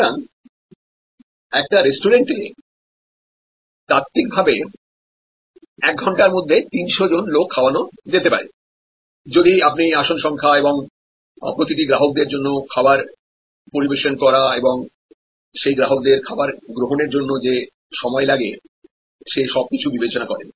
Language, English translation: Bengali, So, there could be there is a possibility that theoretically 300 people can be feed in a restaurant in an hour, if you look at the number of seats and time it takes for each customer to consume the food provided including of course, the delivery time, etc